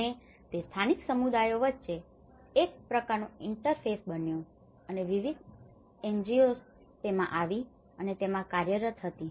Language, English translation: Gujarati, Become a kind of interface between the local communities and the various NGOs coming and working in it